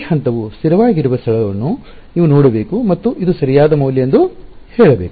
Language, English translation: Kannada, You should look for this point which has where it has stabilized and say that this is the correct value